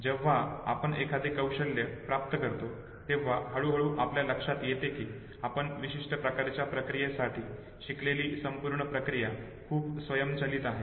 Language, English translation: Marathi, So when we acquire a skill and gradually we realize that the whole process that we have learned for a particular type of an operation becomes too automated okay